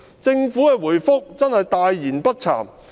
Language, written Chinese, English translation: Cantonese, 政府的答覆真是大言不慚。, The Government is indeed shameless in giving such a reply